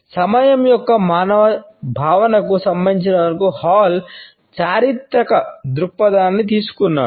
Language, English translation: Telugu, Hall has taken a historical perspective as far as the human concept of time is concerned